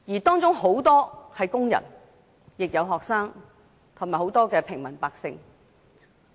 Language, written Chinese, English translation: Cantonese, 當中有很多是工人，也有學生和平民百姓。, Many of these people were workers and others included students and members of the general public